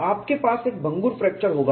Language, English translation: Hindi, You will have a brittle fracture